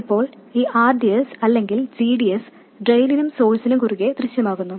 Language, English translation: Malayalam, Now this RDS or GDS also appears across drain and source